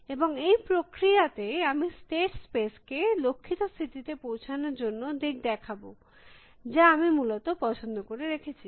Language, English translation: Bengali, And in this process, I will navigate the state space, trying to reach the goal state that I will interest than essentially